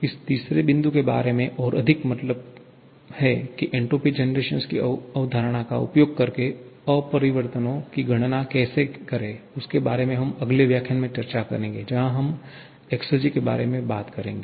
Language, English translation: Hindi, More about this third point means how to calculate the irreversibilities using the concept of entropy generation we shall be discussing in the next lecture where we talk about exergy